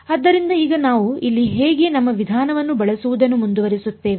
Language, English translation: Kannada, So, now how do we sort of how do we continue to use our approach over here